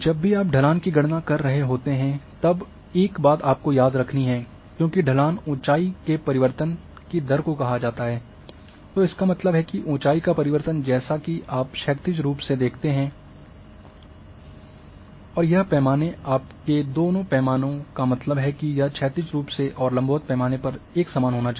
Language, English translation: Hindi, The one thing you have to remember, whenever you are calculating the slope because the slope what it says the rate of change of elevation, so that means that change of elevation as you move horizontally and their and this scale both your scale that means the horizontally scale and vertically scale has to be same